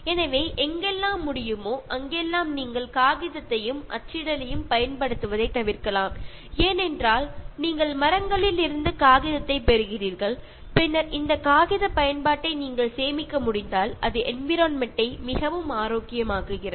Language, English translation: Tamil, So, wherever you can avoid making use of paper and printing, because you get paper from trees and then if you can save, so this paper usage so that is also making the environment very healthy